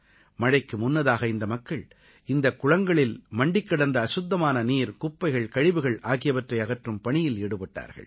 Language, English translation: Tamil, Much before the rains, people immersed themselves in the task of cleaning out the accumulated filthy water, garbage and morass